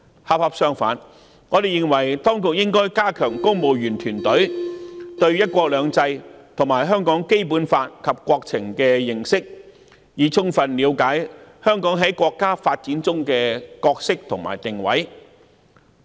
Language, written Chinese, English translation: Cantonese, 恰恰相反，我們認為當局應該加強公務員團隊對"一國兩制"、《基本法》及國情的認識，以充分了解香港在國家發展的角色和定位。, Quite the contrary we are of the view that the Administration should enhance the civil services understanding of one country two systems the Basic Law and national affairs so as to enable them to fully grasp the role and position of Hong Kong in the development of our country